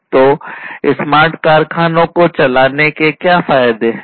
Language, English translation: Hindi, So, what are the advantages of running smart factories